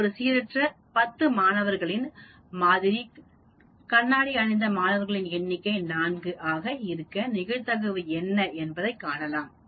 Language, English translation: Tamil, If I take a random sample of 10 students, find the probability that the number of students wearing glasses is at most 4